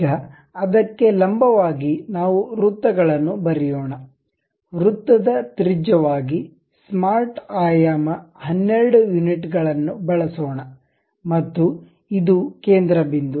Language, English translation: Kannada, Now, normal to that let us draw circles, a circle of radius; let us use smart dimension 12 units and this one center point to this one